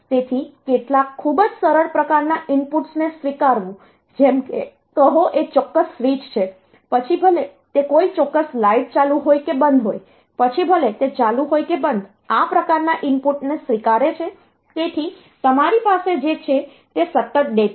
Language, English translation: Gujarati, So, accepting some very simplistic type of inputs like say is a particular switch whether it is on or off a particular light whether it is on or off accepting this type of input so what you have is a continuous data